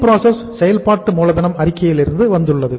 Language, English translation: Tamil, Your WIP has come from the working capital statement